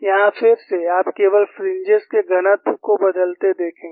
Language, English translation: Hindi, Here again, you will see only the density of the fringes change